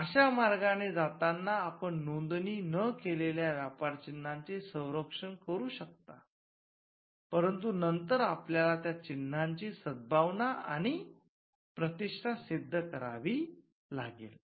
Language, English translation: Marathi, So, passing off as a way by which, you can protect unregistered trademarks, but then you need to show goodwill and reputation for those marks